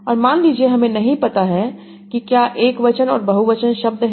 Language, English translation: Hindi, And suppose I do not know what are singular and plural worlds